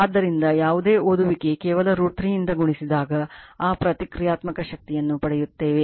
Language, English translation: Kannada, So, whatever reading you get you just multiplied by root 3 you will get your what you call that your Reactive Power right